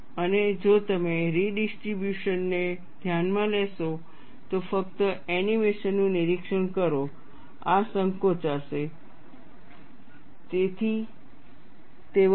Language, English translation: Gujarati, And if you consider redistribution, just observe the animation, this will shrink and that will increase